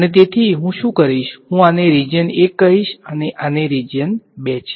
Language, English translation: Gujarati, And so, what I will do is, I will call this as region 1 and this is region 2